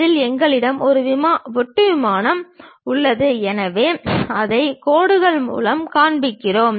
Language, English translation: Tamil, On that we have a cut plane, so we show it by dashed lines